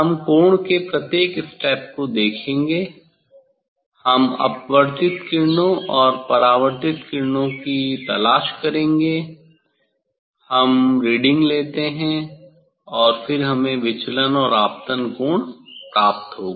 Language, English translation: Hindi, we will look for each step of angle, we will look for the refracted rays and reflected rays, we take the reading and then we will get the deviation and incident angle